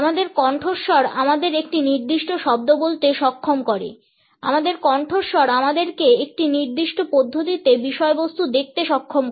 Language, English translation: Bengali, Our voice enables us to say a particular word, our voice enables us to see the content in a particular manner